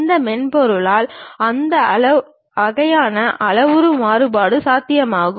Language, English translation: Tamil, That kind of parametric variation is possible by this software